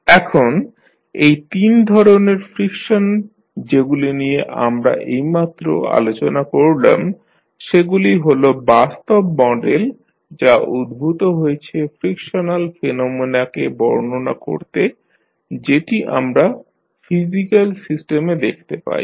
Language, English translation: Bengali, Now, these three types of frictions which we have just discussed are considered to be the practical model that has been devised to describe the frictional phenomena which we find in the physical systems